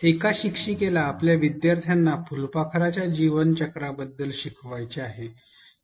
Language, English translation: Marathi, A teacher wants to teach about the life cycle of a butterfly to her students